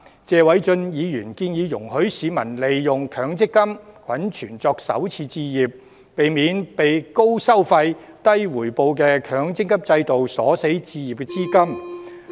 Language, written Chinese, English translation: Cantonese, 謝偉俊議員建議容許市民利用強積金滾存作首次置業，避免被高收費、低回報的強積金鎖死置業資金。, Mr Paul TSE has proposed to allow the use of accumulated MPF benefits for first home purchase so as to avoid the capital for acquiring properties being locked up by high fees and low returns of MPF